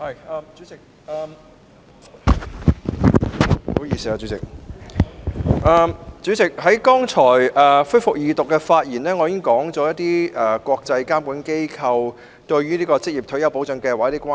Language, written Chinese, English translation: Cantonese, 主席，我剛才就恢復《2019年職業退休計劃條例草案》二讀辯論發言時提到，一些國際監管機構對職業退休計劃表示關注。, Chairman just now in my speech during the resumption of the Second Reading debate on the Occupational Retirement Schemes Amendment Bill 2019 the Bill I mentioned that some international regulators had shown concerns about Occupational Retirement Schemes OR Schemes